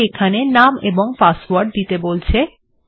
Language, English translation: Bengali, And it also wants the password